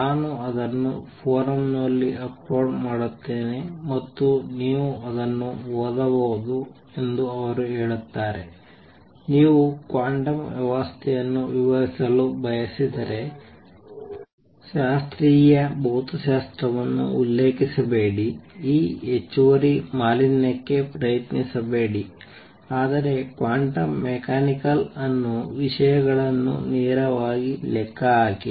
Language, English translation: Kannada, I will give that reference I will upload it on the forum and you can read it, he says that if you want to describe a quantum system do not refer to classical physics, do not try to this extra pollution all that, but calculate quantum mechanical things directly